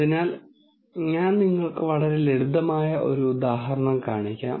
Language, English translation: Malayalam, So, let me show you a very simple example